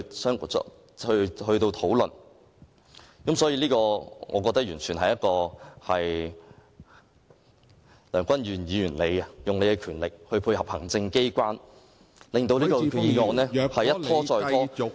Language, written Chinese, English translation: Cantonese, 所以，我認為這完全是梁君彥議員利用自己的權力來配合行政機關，把這項擬議決議案一再拖延。, I think this is a full display of how Mr Andrew LEUNG has made use of his power to put the proposed resolution on hold in cooperation with the executive authorities